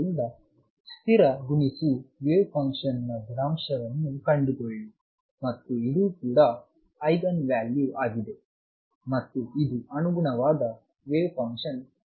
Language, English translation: Kannada, So, again find the constant times the wave function and this is also therefore, an Eigen value and this is the corresponding wave function how does it look